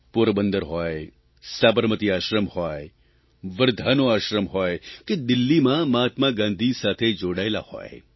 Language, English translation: Gujarati, It could be any site… such as Porbandar, Sabarmati Ashram, Champaran, the Ashram at Wardha or spots in Delhi related to Mahatma Gandhi